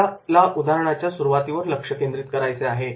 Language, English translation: Marathi, We have to focus on the beginning of the case